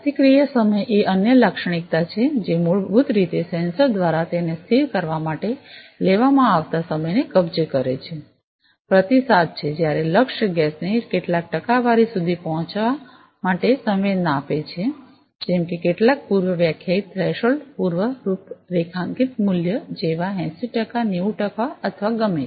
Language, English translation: Gujarati, Response time is the other characteristic, which basically captures the time taken by the sensor to stabilize it is response, when sensing the target gas to reach some percentage some predefined threshold pre configured value like; 80 percent 90 percent or whatever